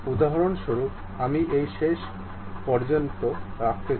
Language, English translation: Bengali, For example, I want to keep it to this end